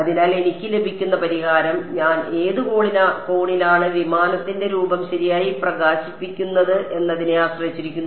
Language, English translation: Malayalam, So, implicitly the solution that I get depends on how which angle I am illuminating the aircraft form right